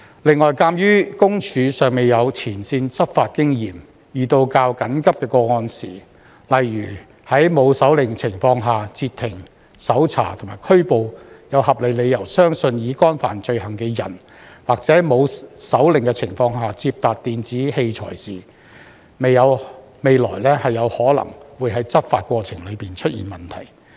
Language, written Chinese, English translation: Cantonese, 此外，鑒於私隱公署尚未有前線執法經驗，遇到較緊急的個案時，例如在沒有手令的情況下截停、搜查及拘捕有合理理由相信已干犯罪行的人，或在沒有手令的情況下接達電子器材時，未來可能會在執法過程中出現問題。, In addition as PCPD does not yet have frontline enforcement experience there may be problems in the enforcement process in the future when it comes to more urgent cases such as stopping searching and arresting a person who is reasonably believed to have committed a crime without a warrant or accessing an electronic device without a warrant